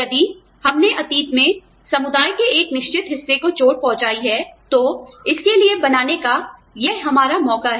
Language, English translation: Hindi, If we have hurt a certain part of the community in the past, this is our chance, to make up for it